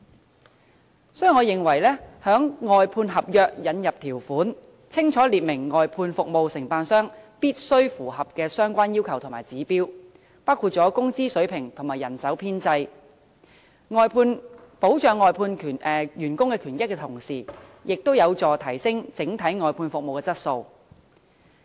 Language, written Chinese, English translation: Cantonese, 因此，我認為在外判合約中應加入條款，清楚列明外判服務承辦商必須符合的相關要求和指標，包括工資水平和人手編制，從而在保障外判員工權益的同時，亦有助提升整體外判服務的質素。, In this connection I think the contract for outsourced services should include a new provision to explicitly require contractors of outsourced services to meet the relevant requirements and standards in respect of wage level staff establishment and so on so that while the rights and benefits of outsourced workers are protected the overall quality of the outsourced services can also be upgraded